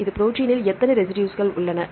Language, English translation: Tamil, How many residues is in this protein